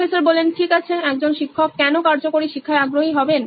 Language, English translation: Bengali, Okay, why would a teacher be interested in effective learning